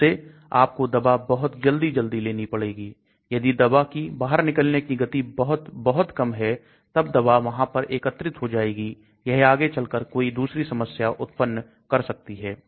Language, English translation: Hindi, So you may to keep by taking the drug quite often, if the elimination is very, very slow then there is an accumulation of the drug there could be other problems as you go long